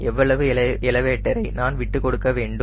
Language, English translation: Tamil, so how much elevator i need to give up